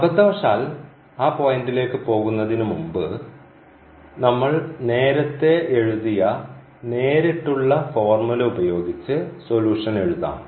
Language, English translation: Malayalam, So, if by mistake, before we go to that point here using that direct approach which we have written down before that we have a direct formula as well